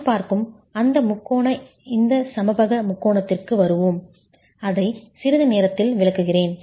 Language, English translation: Tamil, We will come to that triangular, this equilateral triangle that I am looking at, I will explain that in a moment